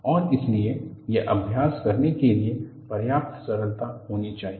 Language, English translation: Hindi, And so, it should be simple enough to practice